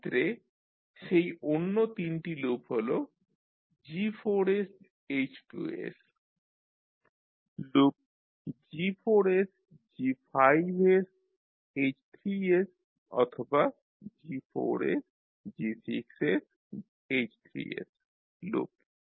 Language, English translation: Bengali, So those other 3 loops G4H2, G4G5H3, G4G6 and H3